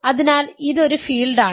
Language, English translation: Malayalam, So, it is a field